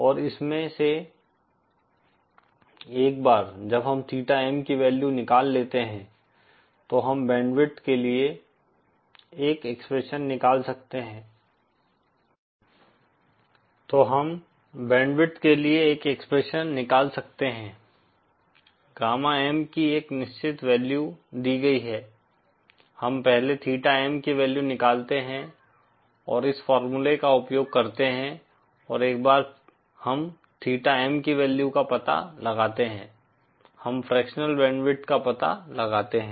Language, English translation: Hindi, And from this once we find out the value of theta M we can find out an expression for the band width, the given a certain value of gamma M, we first find out the value of theta M, and from this using this formula and once we find out the value of theta M, we find out the fractional band width